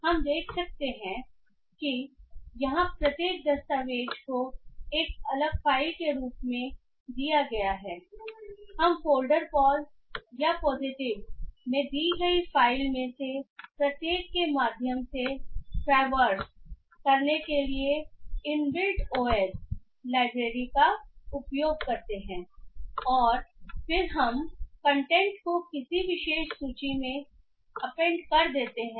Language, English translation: Hindi, So we can find that since each document here is given as a separate file we use the inbuilt OS library to traverse through each of the file given in the folder POS or the positive and then we append the content to a particular list